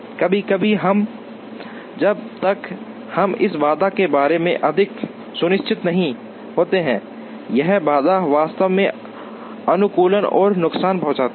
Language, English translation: Hindi, Sometimes, unless we are very sure about this constraint, this constraint can actually harm the optimization